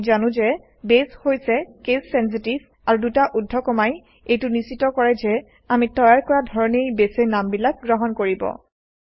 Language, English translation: Assamese, We know that Base is case sensitive and the double quotes ensure that Base will accept the names as we created